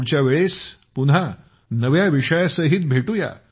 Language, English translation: Marathi, Next time we will meet again with new topics